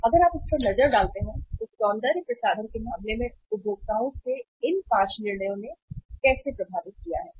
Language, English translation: Hindi, So if you look at this, in case of the cosmetics how these 5 decisions of the consumers have affected